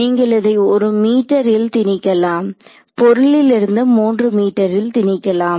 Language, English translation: Tamil, So, you can impose it at 1 meter, you can impose it at 3 meters from the object